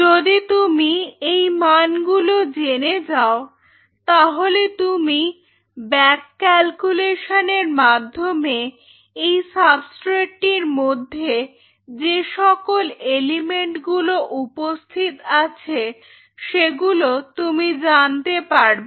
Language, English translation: Bengali, If you know that value and what you can do is you can back calculate from this next substrate and you can figure out what all elements are present on that particular substrate right